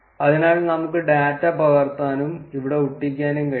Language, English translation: Malayalam, So, we can just copy paste the data and paste it here